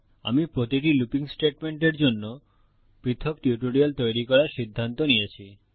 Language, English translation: Bengali, I have decided to create seperate tutorials for each looping statement